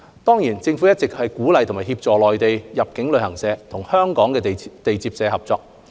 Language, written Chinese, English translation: Cantonese, 當然，政府一直鼓勵和協助內地入境旅行社和香港地接社合作。, Of course the Government has all along encouraged and facilitated Mainland inbound travel agents to establish collaboration with Hong Kong receiving agents